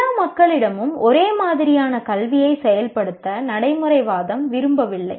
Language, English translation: Tamil, One doesn't, pragmatism doesn't want to enforce the same type of education on all people